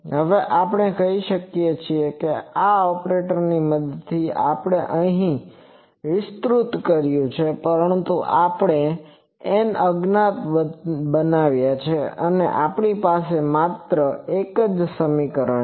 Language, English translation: Gujarati, Now, we have said this operator with the help of that we have expanded it here, but we have created n unknowns, but we have only one equation